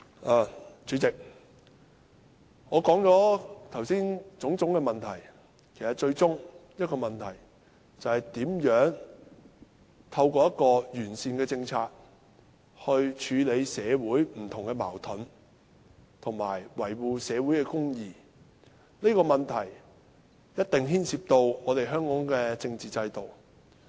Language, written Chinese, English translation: Cantonese, 代理主席，我剛才指出種種問題，其實最終只有一個問題，就是如何透過完善的政策，處理社會上不同的矛盾，以及維護社會公義，這個問題一定牽涉香港的政治制度。, Deputy President all the problems pointed out by me just now ultimately boil down to only one question how different conflicts in society can be addressed and social justice upheld through a sound policy . This question definitely involves the political system in Hong Kong